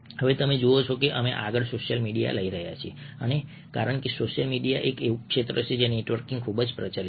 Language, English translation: Gujarati, now you see that we are taking of social media next, and because social media is an area where networking is very, very prevalent